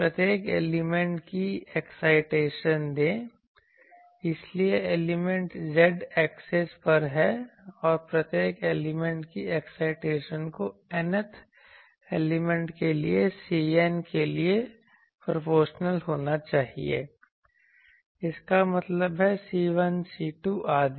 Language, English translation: Hindi, Let the excitation of each element so, elements are on the z axis and get the excitation of each element be proportional to C N for the Nth element; that means, C 1, C 2, etc